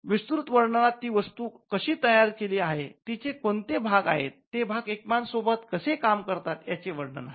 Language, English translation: Marathi, Now, in the detailed description, you will actually tell how the device is constructed, what are the parts, how the parts work with each other